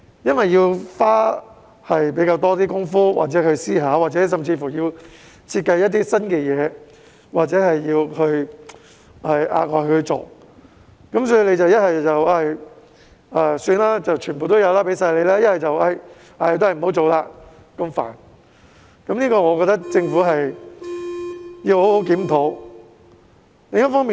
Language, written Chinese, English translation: Cantonese, 由於要花比較多工夫、思考，或者要設計一些做法，涉及額外工作，所以政府要不就很鬆手，人人有份，要不就因為麻煩而不去做，我覺得政府要好好檢討這個問題。, As a lot of effort or thinking is needed or new practices have to be designed and additional work is involved the Government is either so generous that everyone can benefit or it does not do anything for fear of trouble . The Government should I think properly review this problem